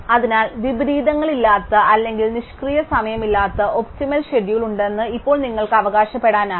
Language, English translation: Malayalam, So, now if you can claim that there is an optimum schedule with no inversions or no idle time